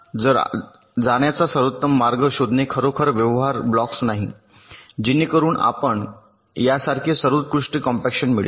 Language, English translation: Marathi, so it is not really feasible to find out the best way to move the blocks so that you can get the best compaction like this